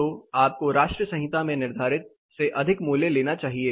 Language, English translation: Hindi, So, you are to be higher than what is prescribed in the national code